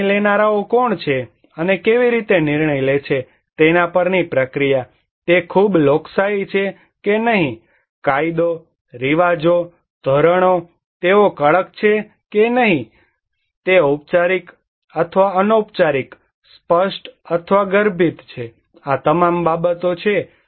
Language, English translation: Gujarati, The process it depends on who are the decision makers and how the decision, is it very democratic or not, law, customs, norms, they are strict or not, they are formal or informal, explicit or implicit, these all matter